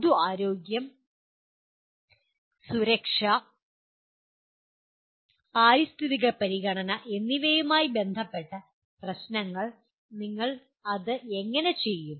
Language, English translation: Malayalam, Issues related to public health, safety and environmental consideration, how do you do that